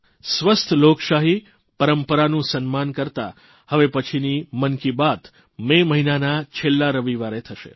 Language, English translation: Gujarati, In maintainingrespect for healthy democratic traditions, the next episode of 'Mann KiBaat' will be broadcast on the last Sunday of the month of May